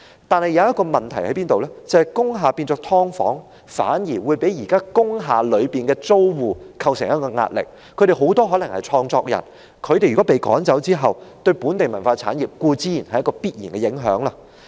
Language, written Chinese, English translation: Cantonese, 但是，這裏有一個問題，就是當工廈改建為"劏房"，將會對現時工廈的租戶構成壓力。他們很多可能是創作人，如果被趕走，對本地文化產業固然有必然的影響。, But there is a question here and that is when the industrial buildings are converted into subdivided units it will constitute pressure on the existing tenants of industrial buildings and as many of them may be creators if they are driven out certainly the local cultural industry would set to be affected